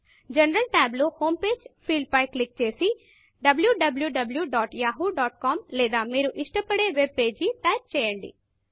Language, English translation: Telugu, In the General tab, click on Home Page field and type www.yahoo.com or any of your preferred webpage